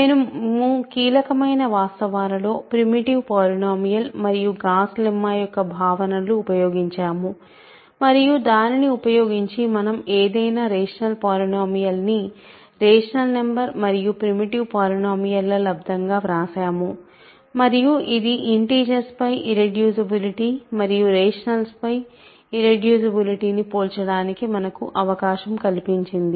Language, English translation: Telugu, In the crucial facts we use were the notions of primitive polynomials and Gauss lemma, and using that we have written any rational polynomial as a rational number times a primitive polynomial and that allowed us to compare irreducibility over the integers and irreducibility over the rationales